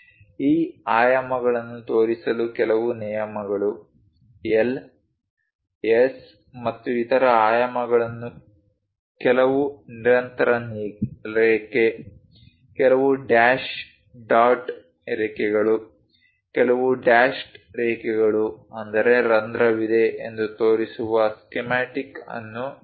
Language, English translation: Kannada, Few rules to show these dimensions, let us look at a schematic where L, S and so on dimensions are shown some continuous line, some dash dot lines, some dashed lines that means, there is a hole